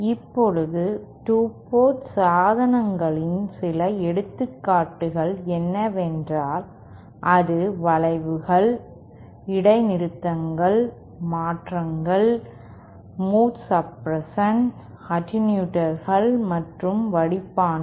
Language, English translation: Tamil, Now, some of the examples of 2 port devices are bends, discontinuities, transitions, mode suppresses, attenuators and filters